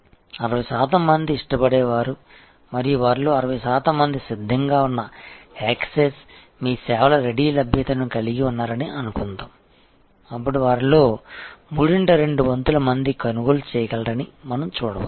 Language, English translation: Telugu, Of the 60 percent who prefer and suppose 60 percent of them have ready access, ready availability of your services, then we can see two third of them will purchase